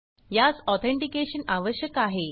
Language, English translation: Marathi, It asks for authentication